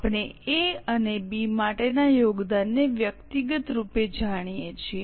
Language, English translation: Gujarati, We know the contribution individually for A and B